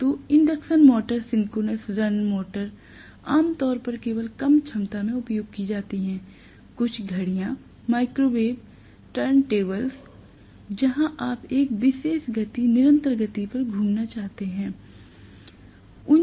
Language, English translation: Hindi, So induction starts, synchronous run motors are generally used only in somewhat lower capacity, some of the clocks, microwave turntables where you wanted to rotate at a particular speed, constant speed